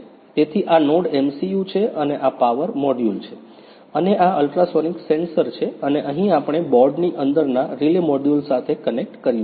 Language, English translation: Gujarati, So, this is NodeMCU and this is power module and this is ultrasonic sensor and here we have connected to relay module which is inside the board